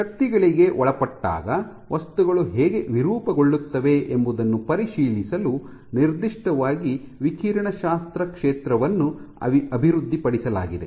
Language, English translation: Kannada, So, the field of radiology in particular has been developed to understand probing how materials deform when subjected to forces